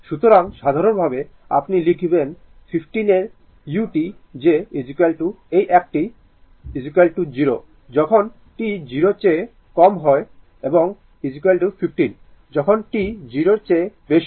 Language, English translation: Bengali, So, in general your when you write 15 of u t that is equal to your this one is equal to 0, when t less than 0 and is equal to 15, when t greater than 0 right